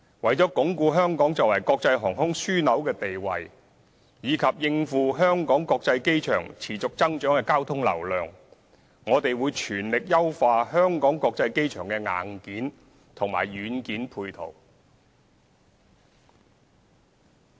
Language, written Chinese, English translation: Cantonese, 為鞏固香港作為國際航空樞紐的地位及應付香港國際機場持續增長的交通流量，我們會全力優化香港國際機場的硬件和軟件配套。, To consolidate Hong Kongs position as an international aviation hub and cope with the ever - increasing traffic flow we will make every effort to optimize the hardware and software of the Hong Kong International Airport